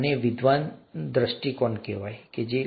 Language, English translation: Gujarati, This is what is called a scholarly view, okay